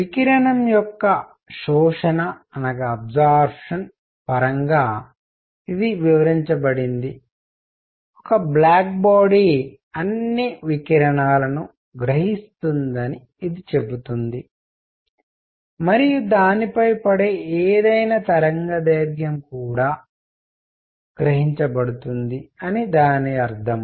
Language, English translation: Telugu, This is explained in terms of absorption of radiation which says that a black body absorbs all the radiation; and by that we mean any wavelength falling on it